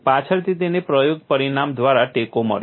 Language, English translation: Gujarati, Later on it was supported by experimental result